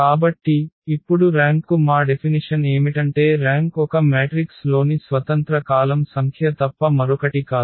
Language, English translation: Telugu, So, now our definition for the rank is that rank is nothing but the number of independent columns in a matrix